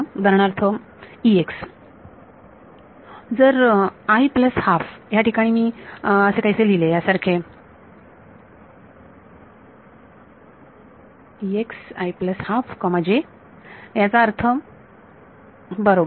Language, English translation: Marathi, So, E x for example, at i plus half if I write something like this E x at i plus half j you know; that means, right